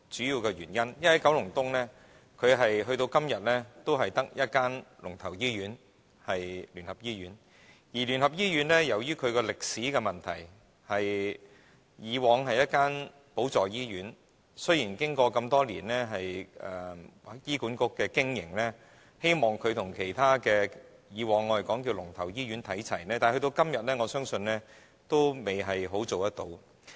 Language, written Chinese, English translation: Cantonese, 因為九龍東至今只有一間"龍頭"醫院，而聯合醫院由於歷史的問題，以往是一間輔助醫院，雖然經過醫院管理局多年經營，希望它與其他"龍頭"醫院看齊，但直到今天，我相信它還未完全做到。, It is because there is only one leading hospital in Kowloon East and due to historical reasons the United Christian Hospital was a supporting hospital . It has long since been under the operation of the Hospital Authority HA which hopes to bring it on par with other leading hospitals but I believe that has yet to be fully achieved even now